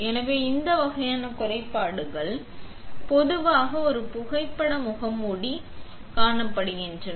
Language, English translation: Tamil, So, all this kind of defects are generally observed in a photo mask